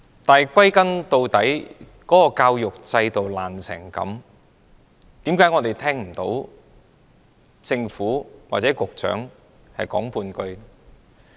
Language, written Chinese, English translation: Cantonese, 但是，歸根究底，教育制度這麼不濟，為甚麼我們聽不到政府或局長說半句話？, After all however as the education system is such a bad one why does the Government or the Secretary say nothing about this?